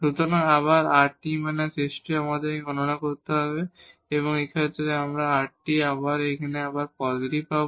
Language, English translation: Bengali, So, again this rt minus s square we have to compute and in this case, so rt here we get this positive again